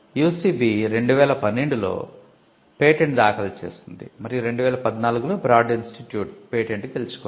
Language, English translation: Telugu, UCB had filed a patent in 2012 and the Broad Institute was the first to win the patent in 2014